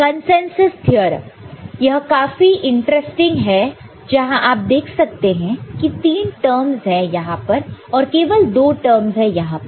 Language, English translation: Hindi, Consensus theorem it is interesting, where you can see that there are 3 terms over there and there are only 2 terms over here